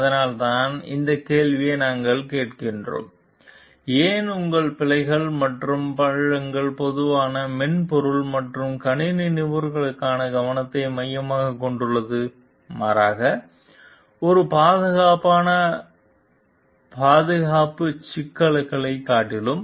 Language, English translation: Tamil, And that is why we are asking this question why your bugs and ditches more commonly the focus of attention for software and computer professionals rather than the safety problems per safe